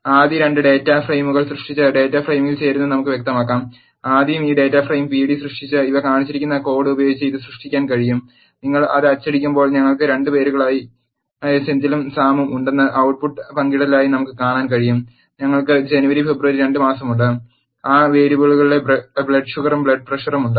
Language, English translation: Malayalam, Let us illustrate joining of data frames by creating 2 data frames first, let us first create this data frame p d, this can be created using the code shown here and when you print that, you can see the output as share we have 2 names Senthil and Sam, we have 2 months Jan and February, we have blood sugar and blood pressure values of those variables